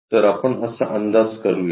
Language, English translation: Marathi, So, let us guess that